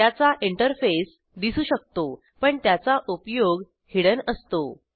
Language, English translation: Marathi, The interface is seen but the implementation is hidden